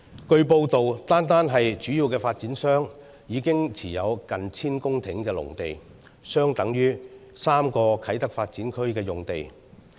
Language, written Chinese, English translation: Cantonese, 據報道，單是主要發展商，已經持有近千公頃的農地，相等於3個啟德發展區用地。, It has been reported that the major developers alone are already holding almost a thousand hectares of agricultural land which is equivalent to triple the site of Kai Tak Development Area